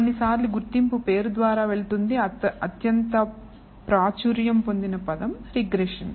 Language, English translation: Telugu, Sometimes this goes by the name of identification most popular term is regression